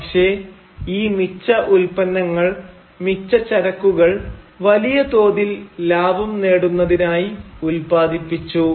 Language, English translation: Malayalam, But these surplus products, these surplus commodities, were nevertheless produced to rake in huge amounts of profit